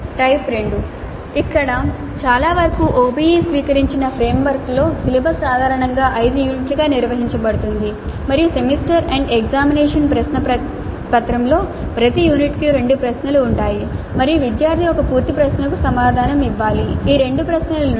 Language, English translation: Telugu, The type 2 here it is based on the fact that in most of the OBE adopted frameworks the cellobus is typically organized into five units and the semester end examination question paper has two questions corresponding to each unit and the student has to answer one full question from these two questions